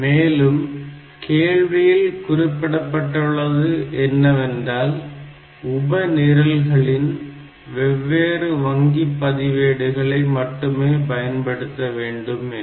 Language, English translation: Tamil, So, the problem also says that if should the sub programs should use different register banks